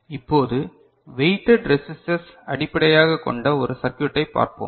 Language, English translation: Tamil, So, let us look into one circuit which is based on weighted resistor right